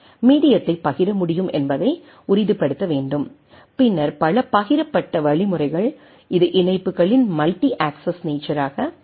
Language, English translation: Tamil, Only it needs to be ensured that the medium can be shared right and then and multiple shared means it will be multi access nature of links